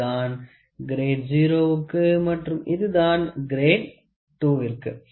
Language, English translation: Tamil, So, this is for grade 0 and this is for grade 2